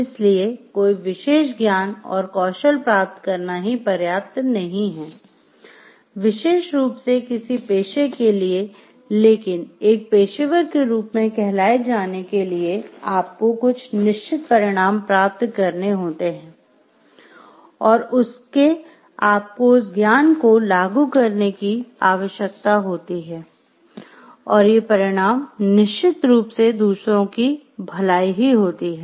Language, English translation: Hindi, So, it is not enough to acquire particular knowledge and skill, which are like peculiar to ones profession, but in order to be termed as a professional you need to apply those knowledge to certain to achieve certain ends and, that end is of course, the well being of others